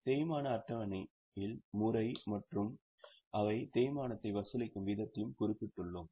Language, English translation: Tamil, In the depreciation schedule they will have mentioned the method as well as the rate at which they are charging depreciation